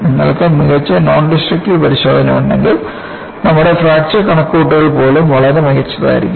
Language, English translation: Malayalam, So, if you have a better nondestructive testing, even our fracture calculation would be much better